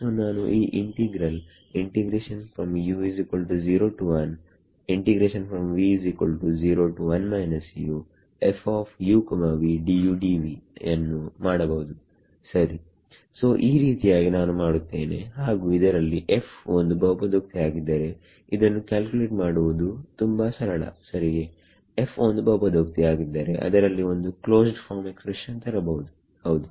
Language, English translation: Kannada, And d u right so, this is how I would do it and this is if f is polynomial you can see this will be very simple to calculate right can I get it can I get a closed form expression for it if f is polynomial yes